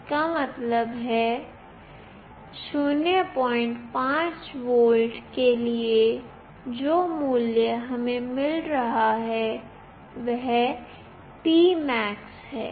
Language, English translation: Hindi, 5 volt the value we are getting is P max